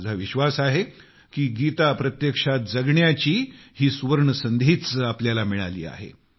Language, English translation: Marathi, I do believe we possess this golden opportunity to embody, live the Gita